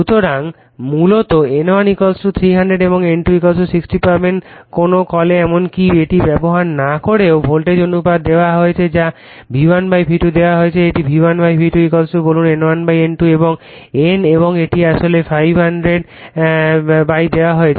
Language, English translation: Bengali, So, basically you will get N1 = 300 and N2 = 60 in your what you call even without using this the voltage ratio is given your what you call V1 / V2 is given your this is your V1 / V2 = say N1 / N2 right and N and this is given actually 500 / 100 actually will 5